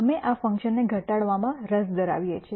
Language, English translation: Gujarati, We are interested in minimizing this function